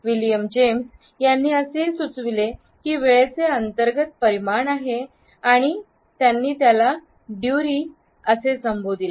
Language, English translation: Marathi, William James suggested that there is also an internal dimension of time which he called as ‘duree’